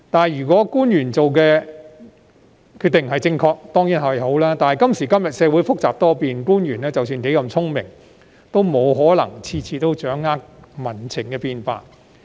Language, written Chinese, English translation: Cantonese, 如果官員所做決定是正確，當然無問題，但今時今日，社會複雜多變，官員即使有多聰明，也不可能每次都能掌握民情的變化。, Of course there will be no problem if the decisions made by officials are correct but given the complicated and volatile society of today it is impossible for officials to keep tabs on the changes in public sentiments no matter how smart they are